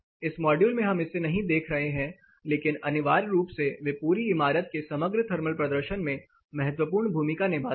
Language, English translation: Hindi, As a part of this module we are not looking at it, but essentially they play an important role or a significant role in the overall performance or thermal performance of the building enclosure